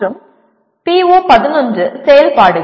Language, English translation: Tamil, And PO11 activities